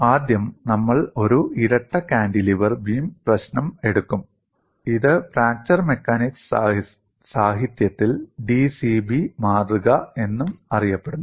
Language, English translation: Malayalam, First, we will take up the problem of a double cantilever beam, and this is also known as, in fracture mechanics literature, d c b specimen